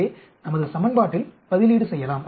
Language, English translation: Tamil, So, we can substitute in our equation